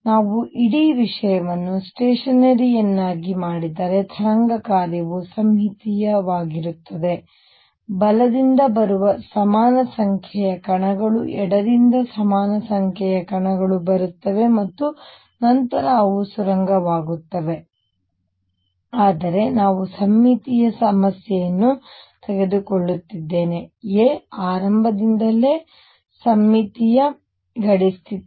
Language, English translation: Kannada, If we made the whole thing stationery then the wave function will be symmetric there will be equal number of particles coming to from the right, equal number particles coming from the left and then they will be tunneling through, but we are taking a symmetric problem a symmetric boundary condition right from the beginning